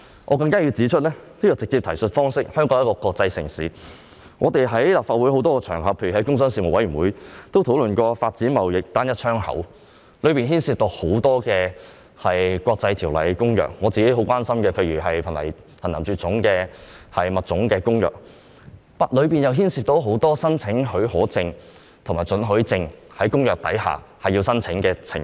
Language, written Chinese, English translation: Cantonese, 我更加需要指出，香港是國際城市，在立法會很多場合如工商事務委員會，均有討論發展貿易單一窗口的事宜，當中也涉及很多國際條例和公約，例如我非常關注的《瀕危野生動植物種國際貿易公約》，而其中又牽涉很多須按照相關公約申請許可證及准許證的情況。, I have to point out that as Hong Kong is an international city discussions have often been held on the development of a trade single window on many different occasions in the Legislative Council such as at meetings of the Panel on Commerce and Industry . These discussions also cover a number of international treaties and agreements such as the Convention on International Trade in Endangered Species of Wild Fauna and Flora which I am very concerned about and there are many situations where applications have to be made for the issue of licences and permits under such conventions